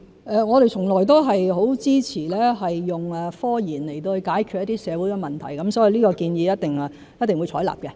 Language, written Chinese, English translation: Cantonese, 我們從來都很支持以科研來解決一些社會問題，所以一定會採納這建議。, We have always been supportive of solving social problems through scientific research so we will certainly adopt this proposal